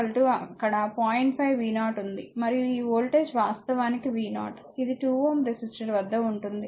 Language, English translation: Telugu, 5 v 0, and this voltage actually is v 0 that is the across 2 ohm resistor